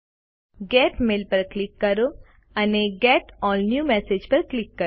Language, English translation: Gujarati, Click Get Mail and click on Get All New Messages